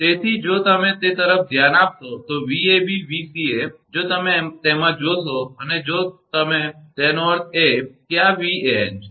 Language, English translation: Gujarati, So, if you if you look into that, Vab Vca if you look into that and, if you that mean this is your Van